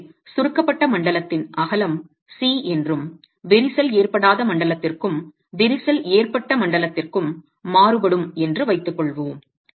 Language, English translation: Tamil, So let's assume that the width of the compressed zone is C and it varies for the uncracked zone and the crack zone